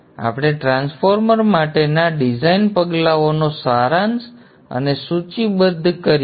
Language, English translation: Gujarati, Let us summarize and list the design steps for the transformer